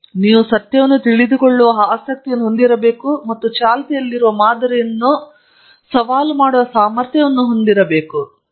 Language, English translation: Kannada, So, you must have a desire to know the truth and an ability to challenge the prevailing paradigms